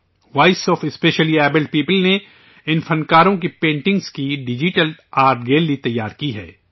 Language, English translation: Urdu, Voice of Specially Abled People has prepared a digital art gallery of paintings of these artists